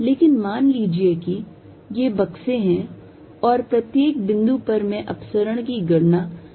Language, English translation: Hindi, But, assume these are boxes and at each point I apply to calculate the divergence